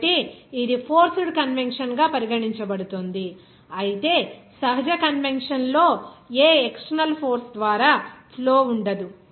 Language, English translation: Telugu, So, it will be regarded as forced convection whereas natural convection there will be no flow by any external force